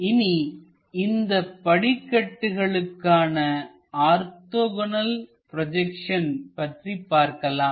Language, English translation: Tamil, Let us look at orthogonal projections for this staircase